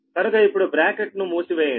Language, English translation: Telugu, so bracket close now